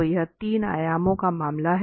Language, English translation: Hindi, So, this is the case of 3 dimensions